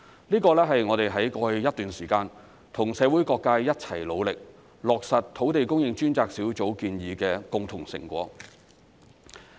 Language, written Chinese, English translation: Cantonese, 這是我們在過去一段時間跟社會各界一起努力，落實土地供應專責小組建議的共同成果。, This is a joint achievement attributed to the joint effort made by various sectors in society over the past period to implement the recommendations of the Task Force on Land Supply